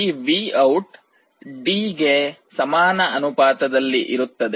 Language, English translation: Kannada, So, VOUT is proportional to D